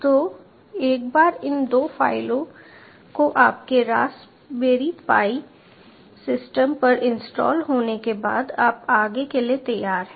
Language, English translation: Hindi, so once these two files are ah installed on your raspberry pi base system, you are ready to go